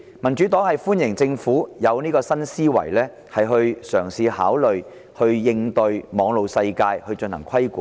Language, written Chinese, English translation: Cantonese, 民主黨歡迎政府有新思維，嘗試考慮對網絡世界進行規管。, The Democratic Party welcomes the Governments new thinking of attempting to regulate the cyber world